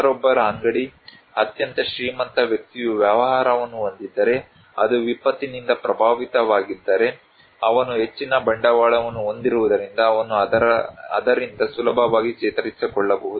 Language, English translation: Kannada, If someone's shop, a very rich person has a business, it is affected by disaster, he can easily recover from that because he has greater capital